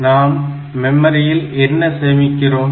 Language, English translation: Tamil, So, what we store in memory